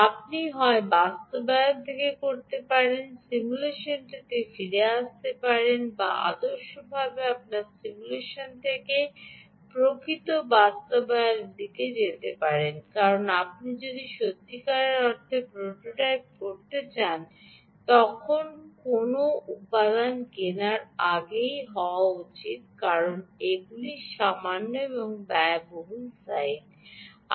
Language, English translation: Bengali, you can either do from implementation, come back to simulation, or ideally you should go from simulation to the actual implementation, because when you really want to prototype, the first step is to ah be